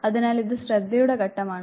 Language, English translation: Malayalam, So, this is the attention component